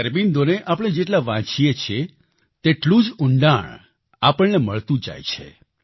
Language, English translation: Gujarati, The more we read Sri Aurobindo, greater is the insight that we get